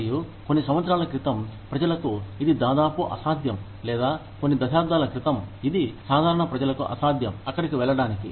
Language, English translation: Telugu, And, till a few years ago, it was almost impossible for people to, or a few decades ago, it was impossible for normal people, to go there